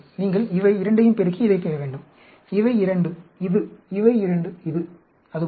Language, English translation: Tamil, You just have to multiply these 2, and get this; these 2, this; these 2, this; like that